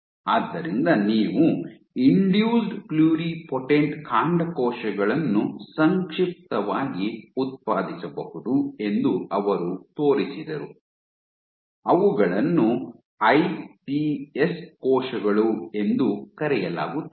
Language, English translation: Kannada, So, he showed that you can generate Induced pluripotent stem cells in short they are referred to as iPS cells